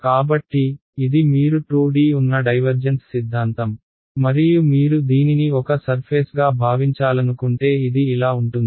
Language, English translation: Telugu, So, this is you divergence theorem in 2D right, and if you want think of it as a surface it’s like this